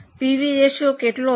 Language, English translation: Gujarati, What was the PV ratio